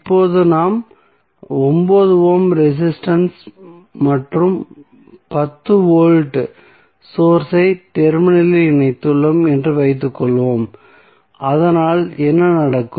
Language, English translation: Tamil, So, now suppose we have load of 9 ohm resistance and 10 ohm voltage connected across the terminal so what happens